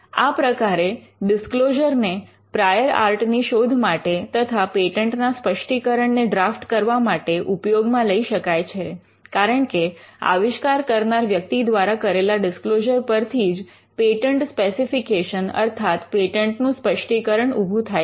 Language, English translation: Gujarati, So, the disclosure can be used to search for the prior art, and it can also be used to draft the patent specification itself, because it is the disclosure that the inventor makes, that eventually gets into the patent specification